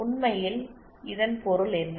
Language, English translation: Tamil, What does that mean actually